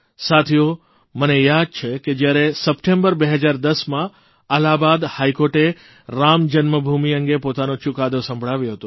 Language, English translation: Gujarati, Friends, I remember when the Allahabad High Court gave its verdict on Ram Janmabhoomi in September 2010